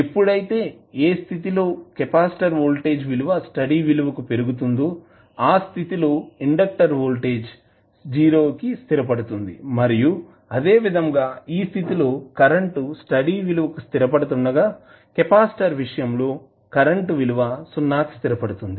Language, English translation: Telugu, When in case of capacitor voltage rises to steady state value while in case of inductor voltage settles down to 0 and similarly current in this case is settling to a steady state value while in case of capacitor the current will settle down to 0